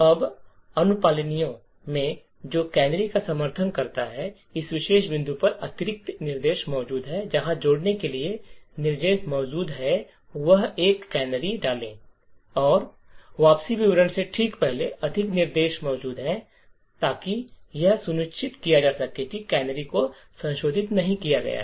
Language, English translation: Hindi, Now in compliers which supports canaries additional instructions are present at this particular point where instructions are present to add, insert a canary over here and just before the return statement more instructions are present So, that So, as to ensure that the canary has not been modified